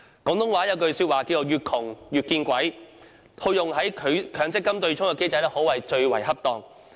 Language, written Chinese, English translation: Cantonese, 廣東話有句俗語是"越窮越見鬼"，套用在強積金對沖機制可謂最為恰當。, As a Cantonese slang goes poverty and bad luck come hand in hand and this is an apt description of the situation of the MPF offsetting mechanism